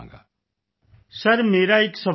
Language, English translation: Punjabi, Sir, I have a question sir